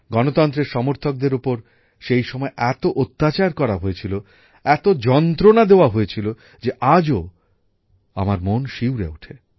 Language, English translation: Bengali, The supporters of democracy were tortured so much during that time, that even today, it makes the mind tremble